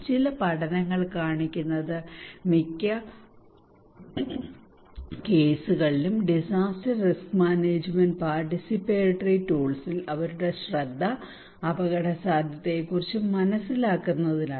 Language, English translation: Malayalam, Some studies is showing that most of the cases disaster risk management participatory tools their focus is on understanding the risk awareness